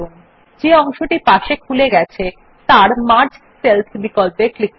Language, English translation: Bengali, In the sidebar which pops up, click on the Merge Cells option